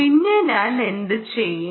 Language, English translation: Malayalam, ok, then, what i will do